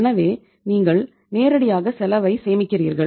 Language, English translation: Tamil, So you are saving upon the cost directly